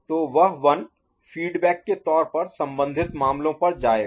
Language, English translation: Hindi, So, that 1 will go to the feedback to the respective cases